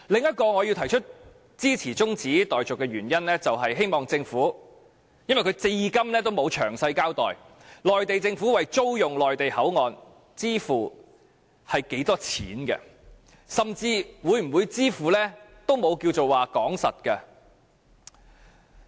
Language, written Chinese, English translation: Cantonese, 我支持議案中止待續的另一原因，是政府至今仍沒有詳細交代內地政府會為租用口岸支付多少錢，甚至連會否支付也沒有定案。, Another reason for my support for the adjournment is that so far the Government has still not given any detailed account of how much money the Mainland Government will pay for renting the control point . Whether it will make any payment is even not finalized